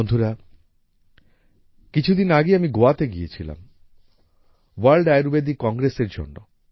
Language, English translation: Bengali, Friends, a few days ago I was in Goa for the World Ayurveda Congress